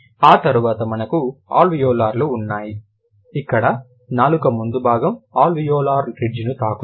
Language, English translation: Telugu, Then you have alveolar's where the front part of the tongue touches the alveolar ridge